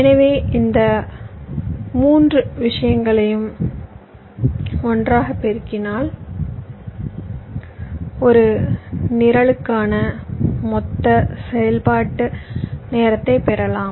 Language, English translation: Tamil, so if you multiple this three thing together, you get the total execution time for a program